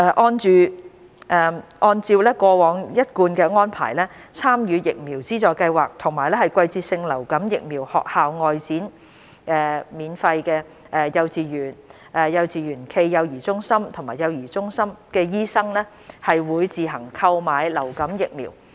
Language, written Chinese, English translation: Cantonese, 按照過往一貫安排，參與疫苗資助計劃及"季節性流感疫苗學校外展─幼稚園、幼稚園暨幼兒中心及幼兒中心"的醫生會自行購買流感疫苗。, According to the established practice influenza vaccines for the Vaccination Subsidy Scheme VSS and the Seasonal Influenza Vaccination School Outreach ―Kindergartens Kindergartens - cum - Child Care Centres and Child Care Centres would be procured by participating doctors